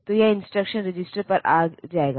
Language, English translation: Hindi, So, it will come to the instruction register